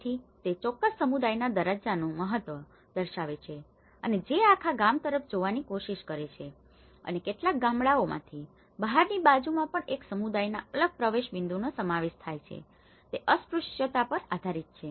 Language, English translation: Gujarati, So, it shows the significance of the status of that particular community and who try to look at the whole village and including in some villages even the entry point of a different community also from the external side, it depends on the untouchable